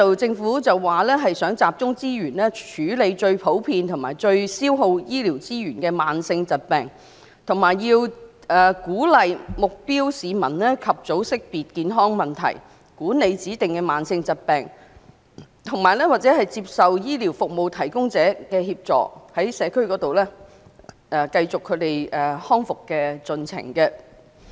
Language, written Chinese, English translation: Cantonese, 政府的說法是要集中資源，來處理最普遍和最消耗醫療資源的慢性疾病、鼓勵目標市民及早識別健康問題、管理指定的慢性疾病，讓市民接受醫療服務提供者的協助，在社區繼續他們康復的進程。, The Governments version is to pool resources to deal with the most common diseases and other chronic diseases that consume a lot of medical resources encourage target people to identify health problems in the early stage manage specific chronic diseases and enable the public to continue their rehabilitation in the community through assistance from medical service providers